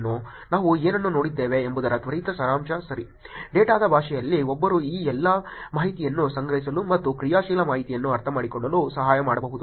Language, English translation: Kannada, Just a quick summary of what we looked at also, right, in terms of the data one could actually look at collecting all these information, and helping understand actionable information